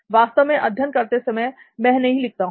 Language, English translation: Hindi, Actually in studying I do not really write, I do not